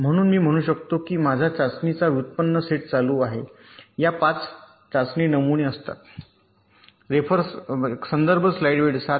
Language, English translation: Marathi, so, as i can say that my test set that is being generated consist of this: five test patterns